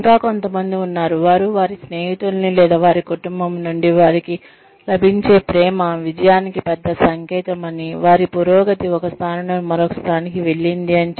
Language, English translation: Telugu, There are still others, who say, the number of friends, I have, or, the love, I get from my family, is a bigger sign of success, than is progression, from say, one position to the next